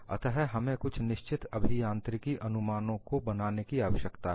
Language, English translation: Hindi, So, we need to make certain engineering approximations